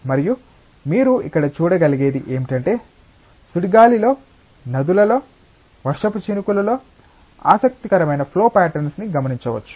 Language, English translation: Telugu, And what you can see here is that in tornadoes, in rivers, in raindrops what interesting flow patterns can be observed